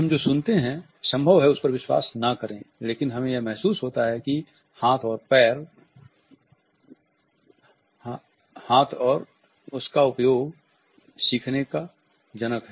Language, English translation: Hindi, We may not believe everything we may hear but we realize that hand and use is father of learning